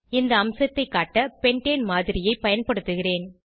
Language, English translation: Tamil, I will use a model of pentane to demonstrate this feature